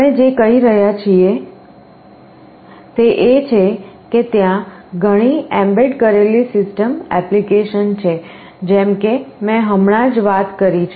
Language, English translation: Gujarati, What we are saying is that there are many embedded system applications like the one I just now talked about